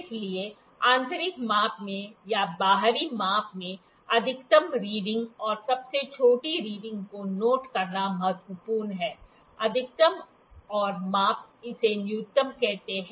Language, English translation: Hindi, So, in inside measurements or in outside measurements it is important to note the maximum reading and the smallest reading; maximum and you call it minimum